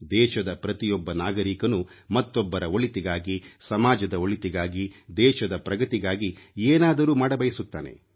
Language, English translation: Kannada, Every citizen of the country wants to do something for the benefit of others, for social good, for the country's progress